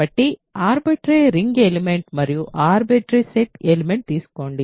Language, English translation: Telugu, So, take a arbitrary ring element and an arbitrary set element